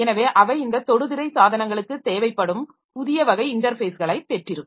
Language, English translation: Tamil, So they have got this touchscreen devices that requires new type of interfaces